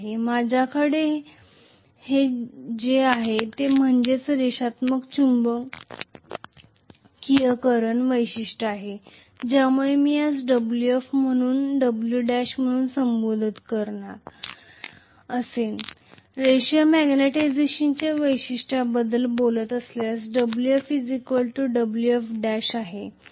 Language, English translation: Marathi, What I have got is linear magnetization characteristics because of which I am going to have if I call this as W f if I call this as W f dash, so W f will be equal to W f dash if I am talking about a linear magnetization characteristic